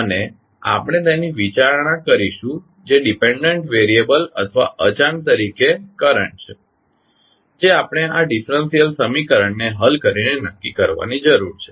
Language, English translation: Gujarati, And we will consider it that is current as a dependent variable or unknown which we need to determine by solving this differential equation